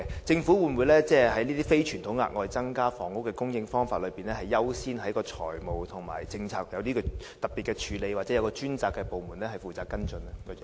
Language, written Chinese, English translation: Cantonese, 政府會否就這些非傳統的額外增加房屋供應的方法，優先在財務和政策上作出特別的處理，又或交由專責部門跟進？, With regard to these unconventional ways of generating additional housing supply will priority be given by the Government to provide them with some special treatments financially and the necessary policy support or refer them to a dedicated department for follow up?